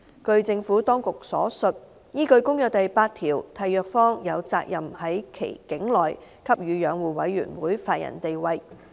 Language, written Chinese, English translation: Cantonese, 據政府當局所述，依據《公約》第八條，締約方有責任在其境內給予養護委員會法人地位。, According to the Administration there was an obligation on a Contracting Party to give the Commission a legal personality in the respective territory pursuant to Article VIII of the Convention